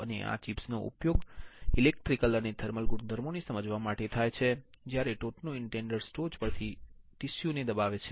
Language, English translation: Gujarati, And, these chips are used for understanding the electrical and thermal properties while the top indenter it presses tissue from the top